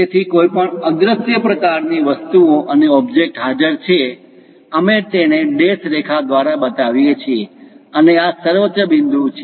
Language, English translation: Gujarati, So, any invisible kind of things and the object is present, we show it by dashed lines, and this is the apex